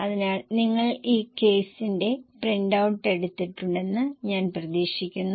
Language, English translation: Malayalam, So, I hope you have taken the printout of this case